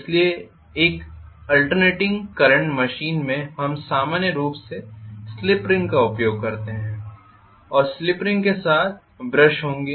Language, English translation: Hindi, So in an alternating current machine normally we use slip ring and along with slip ring we will be having brushes